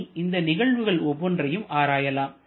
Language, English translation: Tamil, So, let us analyze each of the processes separately